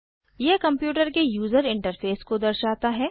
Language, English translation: Hindi, It displays the computers user interface